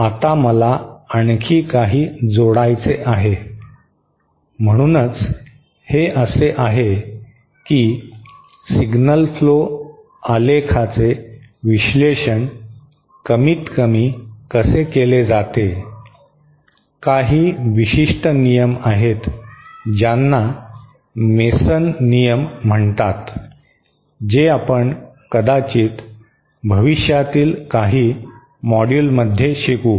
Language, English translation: Marathi, Now, I would like to add some more, so eh, this is, this is more or less how signal flow graph are analysed, there are of course some specialised rules called Masons rules that if we probably in some future module, we will be covering that